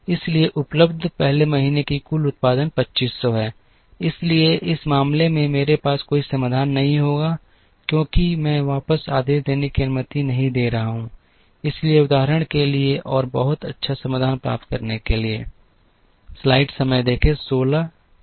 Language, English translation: Hindi, So, the 1st month’s total production available is 2500, so in this case I will not have a solution, because I am not allowing for back ordering, so for the sake of illustration and for the sake of getting a very good solution